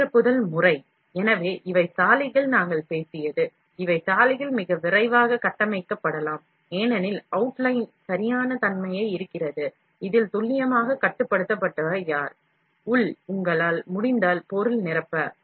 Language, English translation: Tamil, The internal filling pattern, so these are the roads, what we talked about, these are the roads, can be built more rapidly, since the outline represents correctness, of this is what is the who precise controlled required, internal, if you can it just to fill material